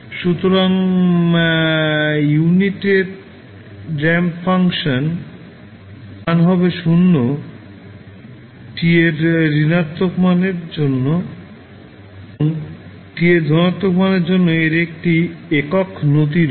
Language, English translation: Bengali, So, unit ramp function is 0 for negative values of t and has a unit slope for positive value of t